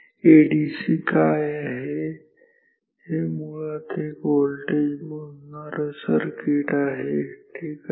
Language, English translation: Marathi, So, this is basically a voltage measuring circuit